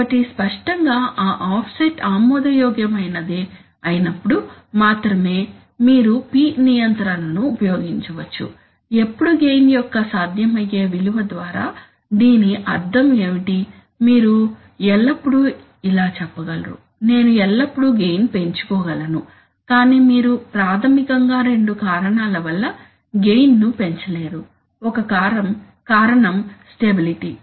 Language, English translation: Telugu, So obviously, you can use P control only when that offset is acceptable, when, with feasible values of the gain, what does it mean by feasible value of the gain, you can always say that, I can always increase the gain, but you cannot increase the gain basically for two reasons, one reason is stability